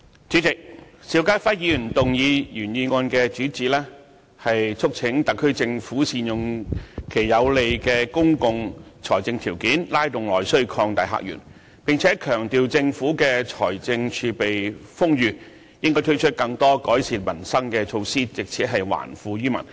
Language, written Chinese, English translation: Cantonese, 主席，邵家輝議員的原議案的主旨是促請政府善用有利的公共財政條件，拉動內需，擴大客源，並且強調政府的財政儲備豐裕，應該推出更多改善民生的措施，藉此還富於民。, President the main theme of the original motion moved by Mr SHIU Ka - fai is to urge the Government to make good use of this favourable state of public finance to stimulate internal demand and open up new visitor sources . And it also emphasizes that the Government should launch more measures to improve peoples livelihood given the ample fiscal reserves so as to return wealth to people